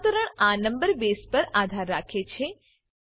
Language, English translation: Gujarati, The conversion depends on this number base